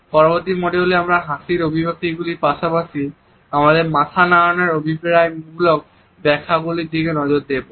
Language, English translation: Bengali, In the next module, we would look at the expressions of his smiles as well as the connotative interpretations of our head notes etcetera